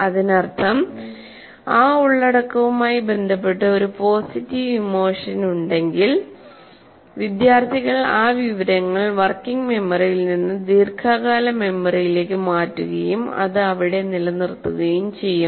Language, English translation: Malayalam, So this is, that means if there is a positive emotion with respect to that content, it's possible that the students will transfer that information from working memory to the long term memory and retain it there